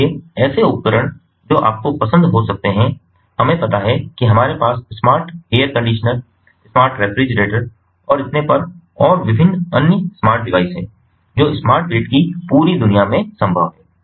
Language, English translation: Hindi, smart appliances, so appliances which can ah, like you know, we have smart ah air conditioners ah, smart ah ah, refrigerators and so on and different other smart devices, ah, ah, ah, everything is possible in the in, in in the whole world of smart grid